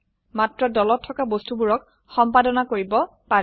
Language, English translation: Assamese, Only the objects within the group can be edited